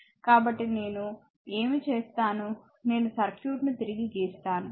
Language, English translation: Telugu, So, what I will do I will redraw the circuit